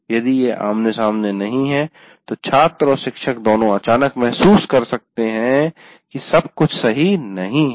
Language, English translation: Hindi, If it is not face to face, both the students and teachers may feel somehow suddenly out of place